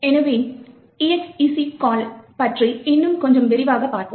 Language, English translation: Tamil, So, let us look a little more in detail about the exec call